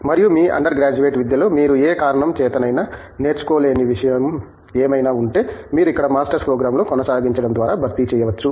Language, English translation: Telugu, And, whatever you did not learn in your undergraduate education for whatever reason, you can probably compensate for that by pursuing a Master's program here